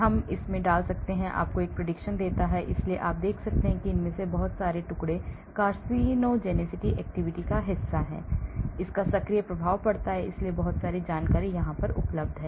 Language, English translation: Hindi, it gives you a prediction, so you can see that a lot of these fragments are also part of the carcinogenic activity, it has an activating effect